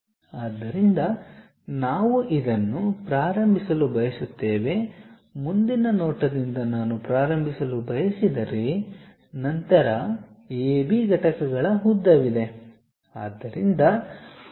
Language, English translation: Kannada, So, we would like to begin this one, from the front view if I would like to begin, then there is a length of A B units